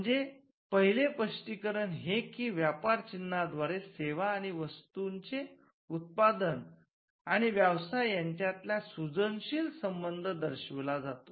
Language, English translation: Marathi, So, the first justification is that, trademarks create creative association between the manufacturer of the product or services and with the goods that come out of the enterprise